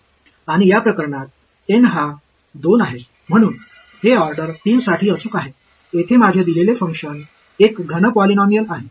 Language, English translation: Marathi, And in this case N is 2 so, this is accurate to order 3 my given function over here is a cubic polynomial